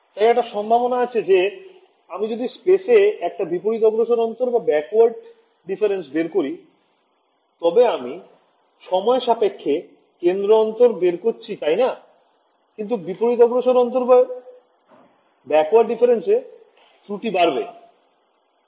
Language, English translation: Bengali, So, one possibility is I do a backward difference in space I can still do centre difference in time right, but what is the disadvantage of doing a backward difference error is error increases